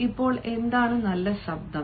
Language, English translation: Malayalam, now, what is a good voice